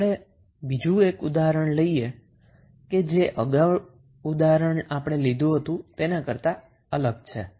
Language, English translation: Gujarati, Now, let us see another case which is different from our previous example